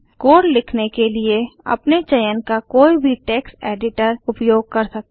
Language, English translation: Hindi, You can use any text editor of your choice to write the code